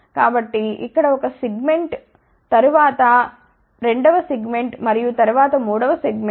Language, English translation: Telugu, So, here is a one segment here, then second segment and then third segment